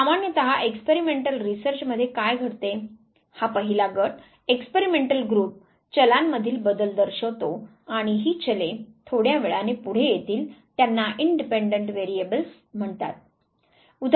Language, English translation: Marathi, Usually in a experimental research what happens; this the first group, the experimental group is exposed to changes in the variables and these variables little later will come to it they are called independent variables